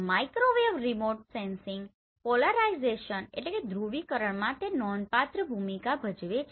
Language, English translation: Gujarati, In Microwave Remote Sensing polarization plays a significant role